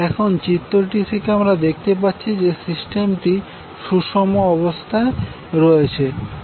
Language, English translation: Bengali, Now from this figure, you can observe that the system is balanced